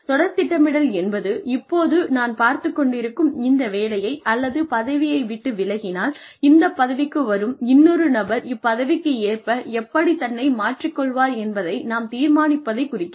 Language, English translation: Tamil, Succession planning is, when we decide, how the person, if I were to leave my current position, how would the next person, who comes and takes up this position, get adjusted to this position